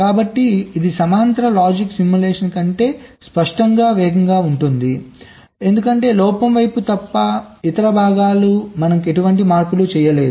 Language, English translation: Telugu, ok, so this is clearly faster than parallel logic simulation because, except the faults, sides, other parts, we have not making any changes in this way